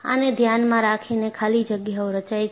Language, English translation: Gujarati, In view of this, voids are formed